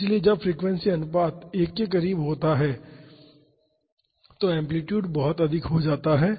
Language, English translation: Hindi, So, when the frequency ratio is close to 1 the amplitude tends to be very high